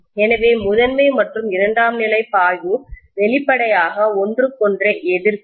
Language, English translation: Tamil, So primary and secondary flux will obviously oppose each other